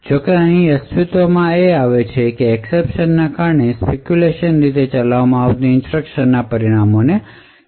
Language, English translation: Gujarati, However, due to the exception that is present over here the results of the speculatively executed instructions would be discarded